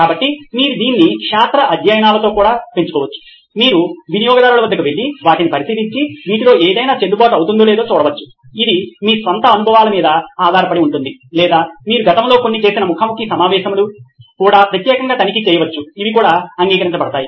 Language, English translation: Telugu, So you can also augment this with field studies, you can go to customers observe them and actually see if any of this is valid, this is based on your own experiences or some of the interviews that you had in the past can also go particularly check for these as well that is also accepted